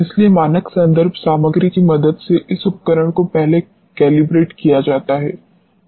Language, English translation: Hindi, So, this instrument has to be calibrated first with the help of standard reference material